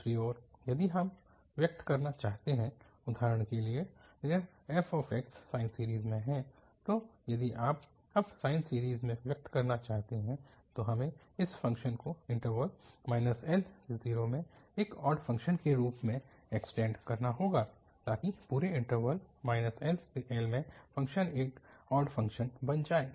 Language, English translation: Hindi, And on the other hand, if you what to express for example this f x in sine series, so if you want to express now in sine series, then we have to extend this function as an odd function in the interval minus L to 0, so that in the whole interval minus L to L the function becomes an odd function